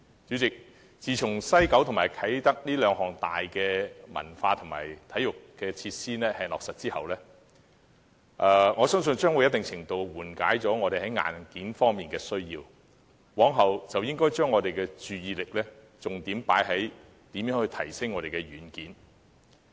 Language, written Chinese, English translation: Cantonese, 主席，自從西九和啟德這兩大文化和體育項目落實後，我相信已在一定程度上紓緩了我們在硬件方面的需要，故今後應以如何提升軟件為重點。, President I think our demand for hardware to support cultural and sports development is somewhat alleviated since the implementation of the two major cultural and sports projects namely the West Kowloon Cultural District WKCD Project and the Kai Tak Sports Park Project . Therefore we should focus on enhancing the software from now on